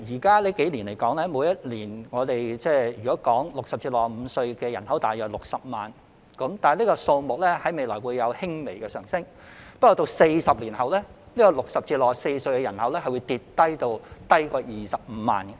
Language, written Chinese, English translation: Cantonese, 近數年來 ，60 歲至65歲的人口維持在約60萬人，這數目未來會輕微上升，但40年後 ，60 歲至64歲的人口會下跌至少於25萬人。, Over the past few years the number of people aged between 60 and 65 has remained at around 600 000 and it will increase slightly in the future . But 40 years later the number of people aged between 60 and 64 will drop to less than 250 000